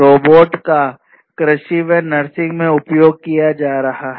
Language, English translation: Hindi, Robots and their use in agriculture robots and their use in nursing